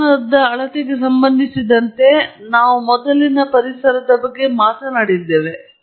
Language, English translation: Kannada, When with respect to the temperature measurement that we talked about earlier of the ambience